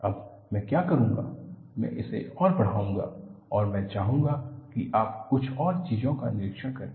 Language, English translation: Hindi, Now, what I will do is, I will magnify this further and I want you to observe a few more things